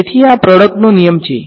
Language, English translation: Gujarati, So, this is a product rule